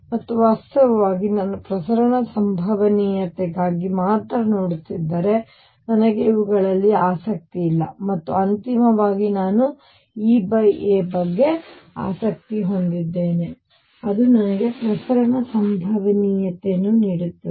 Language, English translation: Kannada, And In fact, if I am looking only for transmission probability I am not even interested in these and finally, I am interested in E over A, which gives me the transmission probability